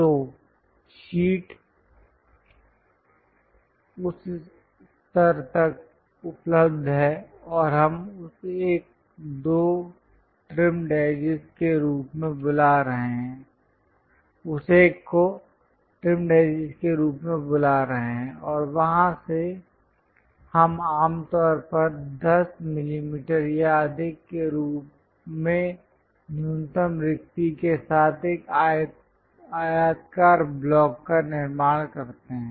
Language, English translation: Hindi, So, the sheet is available up to that level and we are calling that one as the trim sheet and from there usually we construct a rectangular block with minimum spacing as 10 mm or more